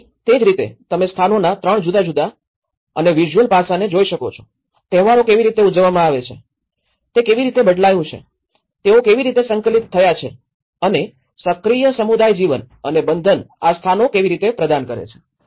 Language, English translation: Gujarati, So, that is how you can see the 3 different and visual character of places, how the festivals are celebrated, how it have changed, how they have integrated and the active community life and the bonding how these places are providing